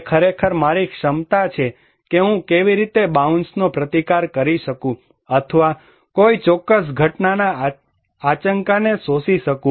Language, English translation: Gujarati, It is actually my capacity that how I can resist bounce back or can absorb the shock of a particular event